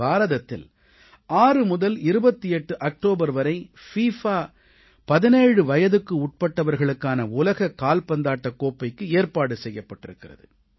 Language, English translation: Tamil, The good news for our young friends is that the FIFA Under 17 World Cup is being organized in India, from the 6th to the 28th of October